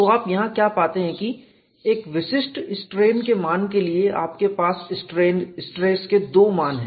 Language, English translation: Hindi, So, what you find here is for a particular strain value you have 2 stress values